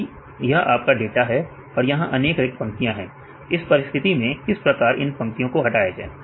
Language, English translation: Hindi, If this is the data there are several empty lines right, in this case how to eliminate the empty lines